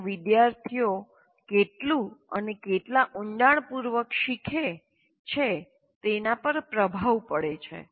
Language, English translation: Gujarati, And also it influences how much and how deeply the students learn